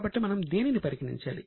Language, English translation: Telugu, So, what should we consider it as